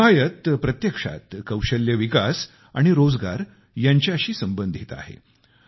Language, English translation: Marathi, The 'Himayat Programme' is actually associated with skill development and employment